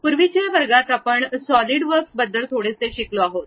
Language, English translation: Marathi, In the earlier classes, we have learned little bit about Solidworks